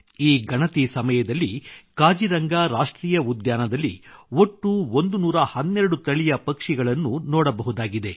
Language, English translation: Kannada, A total of 112 Species of Birds have been sighted in Kaziranga National Park during this Census